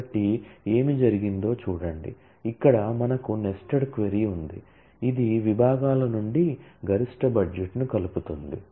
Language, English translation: Telugu, So, look at what has been done, here we have a nested query which aggregates the maximum budget from the departments